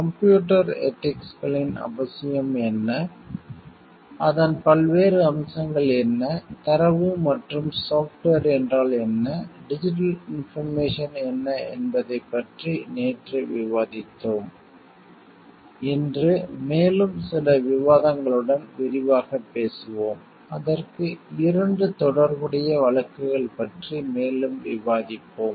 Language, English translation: Tamil, Yesterday discussion we have discussed about what is the necessity of computer ethics and, what are the different aspects of it what is data and what is software, what is digital information, today we will continue in details with some more discussion and we will discuss two relevant cases for it